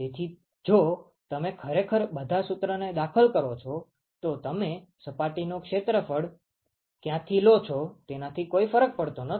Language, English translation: Gujarati, So, if you actually plug in all the formula, it does not matter where you place the surface area